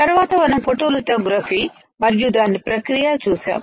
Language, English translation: Telugu, Then we have seen photolithography and its process